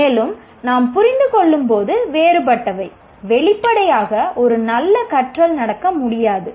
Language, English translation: Tamil, And when the understandings are different, obviously a good learning cannot take place